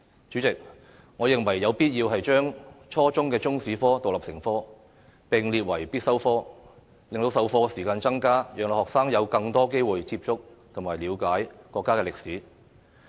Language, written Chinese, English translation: Cantonese, 主席，我認為有必要將初中中史科獨立成科，並列為必修科，增加授課時間，讓學生有更多機會接觸及了解國家歷史。, President I find it necessary to require the teaching of Chinese history as an independent subject in junior secondary schools make it a compulsory subject and increase teaching hours so that students can have more opportunities to learn and understand the history of our country